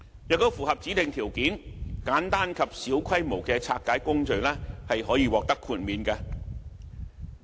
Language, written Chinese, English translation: Cantonese, 如果符合指定條件，簡單及小規模的拆解工序可獲得豁免。, If the specified conditions are met simple and small - scale dismantling procedures may be exempted